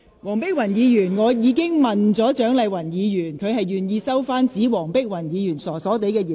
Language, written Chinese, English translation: Cantonese, 黃碧雲議員，我已經詢問蔣麗芸議員，而她表示願意收回指黃碧雲議員"傻傻地"的言論。, Dr Helena WONG I have already asked Dr CHIANG Lai - wan and she has indicated that she is willing to withdraw the remark that Dr Helena WONG is a bit silly